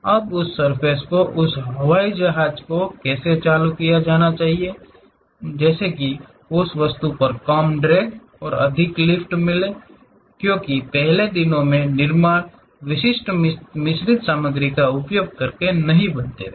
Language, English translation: Hindi, Now, how that surface supposed to be turned on that aeroplane such that one will be having less drag and more lift on that object; because, earlier day construction were not on using typical composite materials